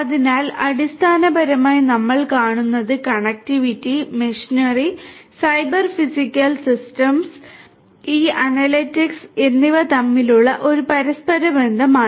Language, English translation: Malayalam, So, basically what we see is there is an interplay between the connectivity, the machinery, the Cyber Physical Systems and this analytics